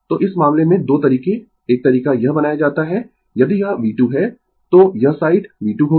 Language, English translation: Hindi, So, in in this case , 2 way one way it is made if it is V 2, this side will be minus V 2 , right